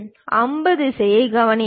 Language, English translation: Tamil, And note the arrow direction